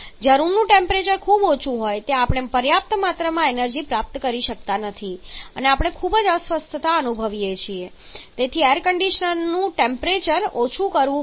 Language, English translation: Gujarati, Where the room temperature is too high then we may not be able to receive it sufficient amount of energy and we may feeling very much uncomfortable very much toughie and so condition has to lower the temperature